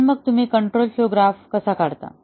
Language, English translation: Marathi, But, then how do you draw the control flow graph